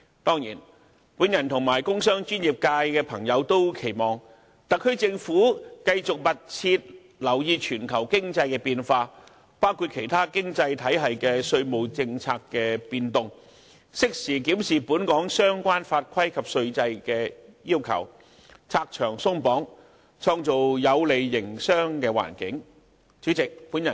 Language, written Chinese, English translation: Cantonese, 當然，我和工商專業界的朋友也期望特區政府繼續密切留意全球經濟變化，包括其他經濟體系稅務政策的變動，適時檢視本港相關法規及稅制的要求，拆牆鬆綁，創造有利營商的環境。, Of course I and members of the industrial commercial and professional sectors also expect the SAR Government to continue to keep a close eye on the changes in the global economy including the changes in tax regimes of other economies and promptly review the requirements of the relevant statutes and Hong Kongs tax regime remove unnecessary restrictions and create a favourable business environment